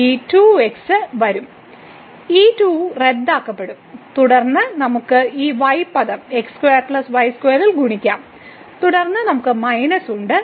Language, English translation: Malayalam, So, this 2 will come and this 2 will get cancel and then, we can multiply here this term in square plus this square and then we have minus